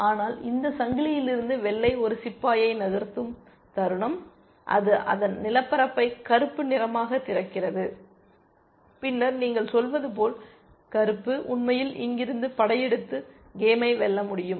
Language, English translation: Tamil, But the moment white moves one pawn from this chain, it opens its territory to black and then, black can actually as you might say, invade from here and win the game essentially